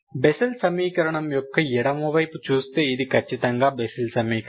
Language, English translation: Telugu, This is exactly Bessel equation, Bessel equation, left hand side of the Bessel equation